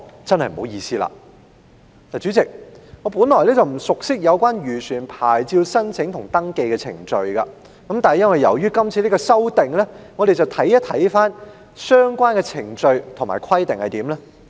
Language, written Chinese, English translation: Cantonese, 代理主席，我本來不熟悉漁船牌照的申請和登記程序，但由於提出了《條例草案》，我看了相關的程序和規定。, Deputy President I was not familiar with the procedure for licence application and registration of fishing vessels at first but due to the introduction of the Bill I have taken a look at the procedure and requirements concerned